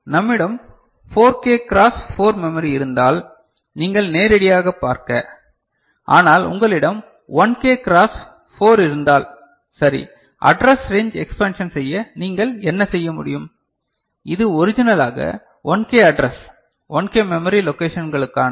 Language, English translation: Tamil, If we have a 4K cross 4 memory it is fine you can directly use, but if you have 1K cross 4 like this, right; what you can do to expand the address range which originally is meant for 1K address, 1 K you know memory locations